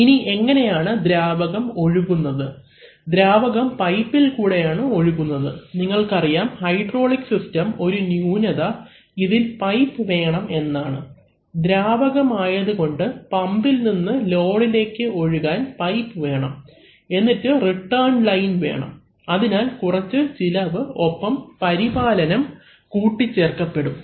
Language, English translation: Malayalam, Now how does the liquid flow, the liquid actually flows in pipes, now this is, you know one of that this is a kind of drawback for the hydraulic system, in the sense that, you have to have an, you have to have some piping and you not only have to have piping from the pump to the load as the liquid is flowing because it is a liquid, so you need to also have the return line, so that adds some cost and some maintenance